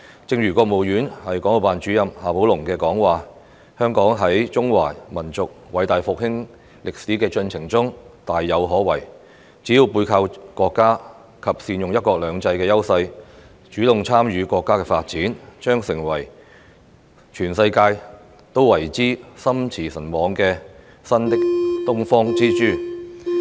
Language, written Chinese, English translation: Cantonese, 正如國務院港澳辦主任夏寶龍的講話，香港在中華民族偉大復興歷史的進程中大有可為，只要背靠國家及善用"一國兩制"的優勢，主動參與國家的發展，將成為全世界都為之心馳神往的新東方之珠。, As XIA Baolong Director of the Hong Kong and Macao Affairs Office of the State Council said Hong Kong has bright prospects in the process of the great rejuvenation of the Chinese nation . As long as we are backed by the country take advantage of one country two systems and participate in the development of the country proactively Hong Kong will become the new Pearl of the Orient that fascinates the whole world